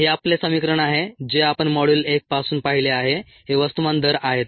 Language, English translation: Marathi, this is our equation that we have seen right from module one, ah